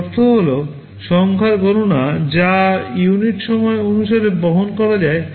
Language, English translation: Bengali, It means number of computations that can be carried out per unit time